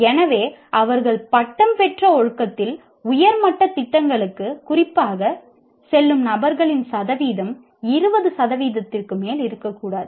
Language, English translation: Tamil, So the percentage of people who would go specifically to higher level programs in the discipline where they took the degree may not be more than 20 percent